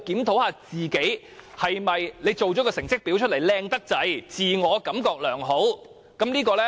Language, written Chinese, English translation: Cantonese, 是否做出來的成績表太漂亮，自我感覺良好呢？, Is it that they have made their report card too beautiful and have therefore got carried away?